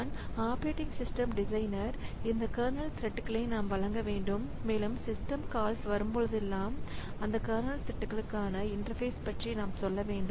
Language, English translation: Tamil, So as an operating system designer, so we have to provide this kernel threads and we have to tell interface for those kernel threads